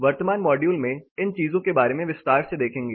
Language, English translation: Hindi, So, we will look little more in detail about these things in the current module